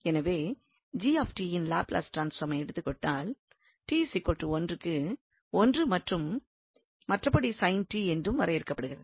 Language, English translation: Tamil, So we will get here the Laplace transform of this g t the same as the Laplace transform of sin t